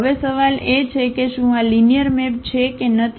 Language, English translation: Gujarati, Now the question is whether this is linear map or it is not a linear map